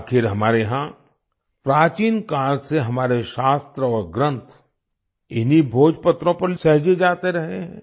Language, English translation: Hindi, After all, since ancient times, our scriptures and books have been preserved on these Bhojpatras